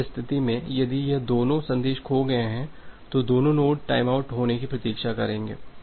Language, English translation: Hindi, In this case so, if both this messages are getting lost then both the node will wait for a timeout value